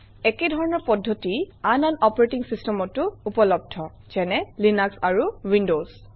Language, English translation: Assamese, Similar methods are available in other operating systems such as Linux and Windows